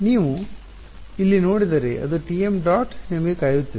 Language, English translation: Kannada, If you look over here is it T m dot waiting for you right